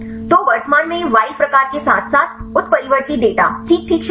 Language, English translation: Hindi, So, currently it is including the wild type as well as the mutant data fine right